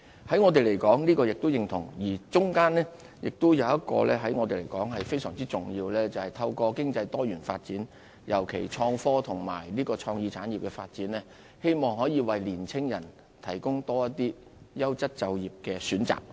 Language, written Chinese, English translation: Cantonese, 在我們來說，這點亦是認同，而中間亦有一點對我們來說是非常重要的，就是透過經濟多元發展，尤其創科和創意產業的發展，希望可以為年輕人提供多一些優質就業的選擇。, We share her view on this point but we consider the provision of good career options to young people as another major goal in promoting economic diversification particularly in the development of innovation and technology and the creative industries